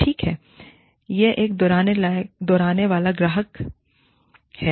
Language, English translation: Hindi, Okay, this is going to be, a repeat customer